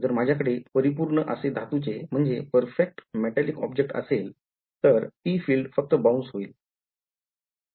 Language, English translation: Marathi, So, it is not, if I had a perfect metallic say object, then the field will only bounce of that is a special case of this